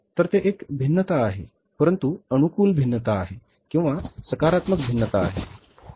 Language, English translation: Marathi, So, it is a variance but a favourable variance or a positive variance but still it is also not good